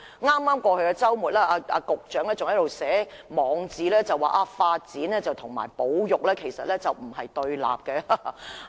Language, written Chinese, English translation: Cantonese, 在剛過去的周末，局長還在其網誌表示發展與保育其實並不對立。, Last weekend the Secretary even said in his blog that development and conservation were actually not mutually exclusive